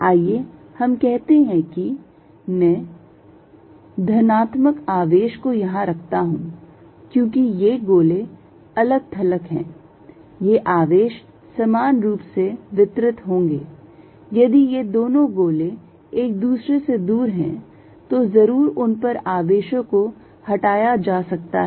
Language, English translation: Hindi, Let us say I put positive charge here, since they are spheres in isolation these charges you are going to be all uniformly distributed, if these two sphere is far away, necessarily charge on them is movable